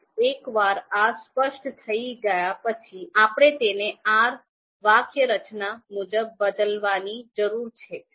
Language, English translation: Gujarati, Now once this has been specified, I can I need to change it as change it to R syntax as per R syntax